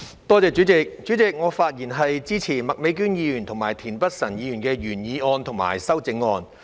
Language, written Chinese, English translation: Cantonese, 代理主席，我發言支持麥美娟議員及田北辰議員的原議案和修正案。, Deputy President I speak in support of Ms Alice MAKs original motion and Mr Michael TIENs amendment